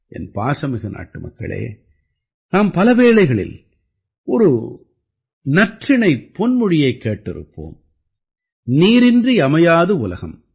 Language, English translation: Tamil, My dear countrymen, we all must have heard a saying many times, must have heard it over and over again without water everything is avoid